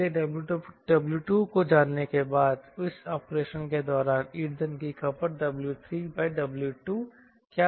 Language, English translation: Hindi, so w three by w two will be what is the fuel consumed during this operation